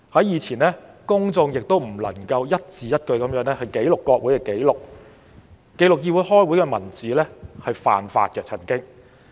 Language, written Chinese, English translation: Cantonese, 以前公眾也不能一字一句地記錄國會紀錄，因為記錄國會會議文字曾經是犯法的。, Moreover verbatim records of the proceedings of the parliament could not be produced because it was once an offence to do so